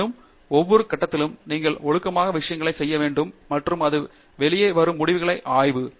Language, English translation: Tamil, However, at each stage you have to do things systematically and analyze the results that come out of it